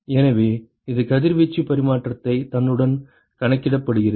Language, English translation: Tamil, So, that accounts for radiation exchange with itself